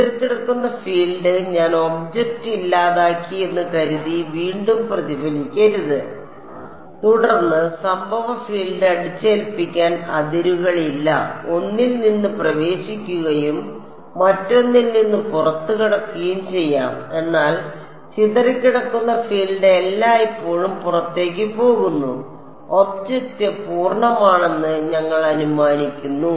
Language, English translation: Malayalam, Scattered field should not reflect back supposing I delete the object then there is no boundary condition to impose incident field can enter from one and exit from the other and that is consisted, but scattered field is always going out we are assuming that the object is fully contained inside the simulation domain